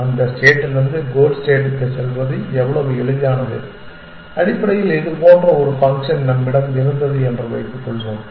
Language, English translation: Tamil, How easy is it to go from that state to the goal state, essentially so supposing we had such a function